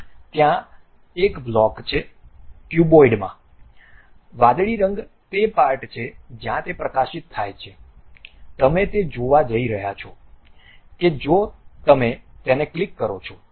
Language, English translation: Gujarati, There there is a block the cuboid is there, the blue color is the portion where it is highlighted you are going to see that if you click it